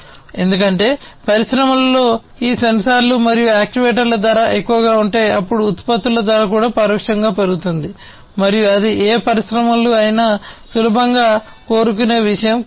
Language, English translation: Telugu, Because if the cost of these sensors and actuators in the industries are going to be higher, then the cost of the products are also indirectly going to be increased and that is not something that any of the industries would readily want to have